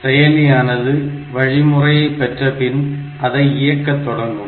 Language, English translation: Tamil, So, the processor will get that instruction, it will start executing it